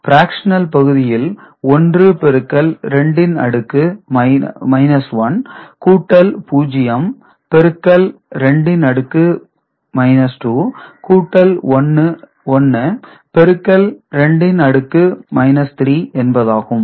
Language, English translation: Tamil, This is 1 into 2 to the power minus 1 plus 0 into 2 to the power minus 2 plus 1 into 2 to the power minus 3 ok